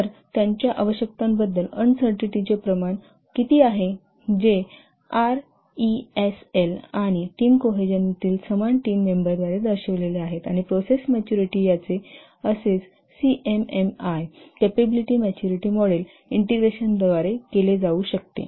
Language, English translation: Marathi, So what is the degree of uncertainty about their requirements that is printed by RESL and similar team cohesion, cohesion among the team members and process maturity, this could be assessed by the CMMI, capability maturity model integration